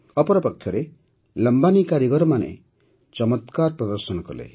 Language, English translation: Odia, At the same time, the Lambani artisans also did wonders